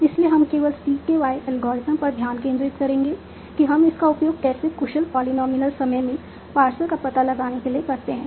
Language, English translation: Hindi, So, we will only focus on CKY algorithm that how do we use this for finding out paths in an efficient polynomial time